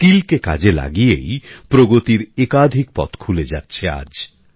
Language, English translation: Bengali, Skills are forging multiple paths of progress